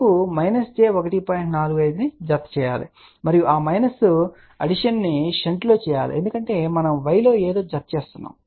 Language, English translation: Telugu, 45 to this and that minus addition has to be done in shunt because we are adding something in y